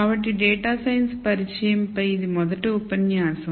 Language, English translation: Telugu, So, this is the first lecture on introduction to data science